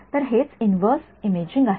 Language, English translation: Marathi, So, that is what inverse imaging is